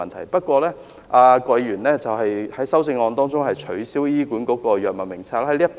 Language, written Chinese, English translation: Cantonese, 然而，郭議員在修正案中建議取消醫管局的藥物名冊。, Yet Dr KWOK proposed in his amendment that the system of the HA Drug Formulary be abolished